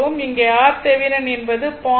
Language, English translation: Tamil, So, R thevenin will be is equal to 0